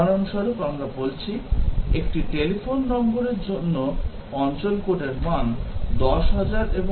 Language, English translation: Bengali, For example, let us say, the area code for a telephone number is value between 10000 and 90000